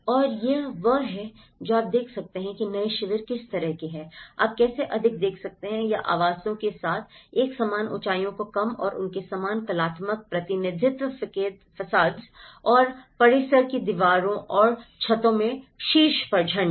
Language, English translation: Hindi, And this is how what you can see is the kind of the new camps, how you can see a more or less a kind of uniform heights with the dwellings and a similar artistic representations of their facades and the compound walls and the flags over the top of the terraces